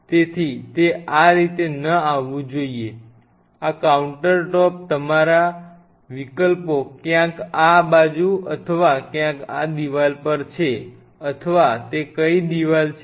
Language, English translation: Gujarati, So, it should not come on this way, your options are on this counter top somewhere here in this side or somewhere on this wall somewhere it is this wall or that wall which one